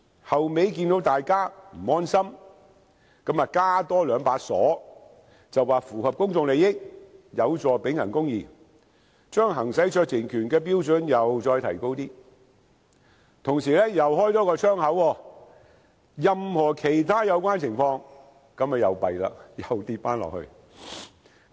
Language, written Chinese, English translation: Cantonese, 後來看見大家不安心，再加兩把鎖，便是："符合公眾利益，有助秉行公義"，把行使酌情權的標準再提高，但同時多開一個窗口："一切有關情況下"，這樣糟糕了，又再放寬了。, As the draft was unable to make members to rest assured two more criteria were added to raise the threshold so that discretion might be exercised if it is in the public interest or the interests of the administration of justice . However the wording any other relevant circumstances were also included in the clause . It was too bad as it once again opened the door for a more lax application of the discretion